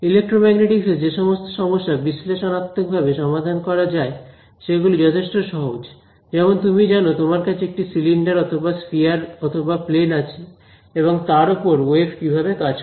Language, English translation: Bengali, And so again this is for problems that cannot be solved analytically, the problems that can be solved analytically in Electromagnetics are simple things like you know, you have a cylinder or a sphere or a plane how does a wave interact with this